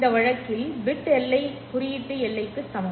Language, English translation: Tamil, So in this case, the bit energy is equal to the symbol energy